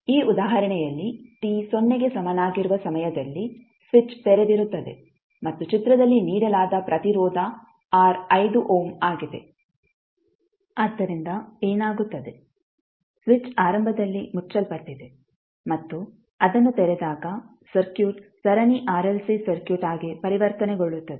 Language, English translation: Kannada, In this example the switch is open at time t is equal to 0 and the resistance R which is given in the figure is 5 ohm, so what happens the switch is initially closed and when it is opened the circuit is converted into Series RLC Circuit